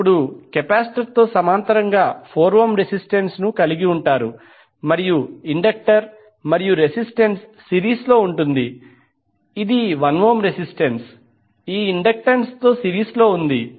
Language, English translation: Telugu, You will have 4 ohm resistance in parallel now with the capacitor and the inductor and resistance will be in series that is 1 ohm resistance in series with the inductance